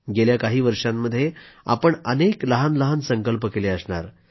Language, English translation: Marathi, For the past many years, we would have made varied resolves